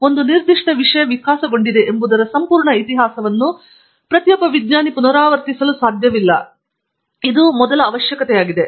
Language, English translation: Kannada, So, essentially the first requirement that we need to do is every scientist cannot replicate the entire history of how a particular topic has evolved